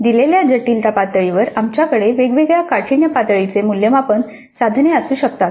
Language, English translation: Marathi, At a given complexity level we can now assessment items of different difficulty levels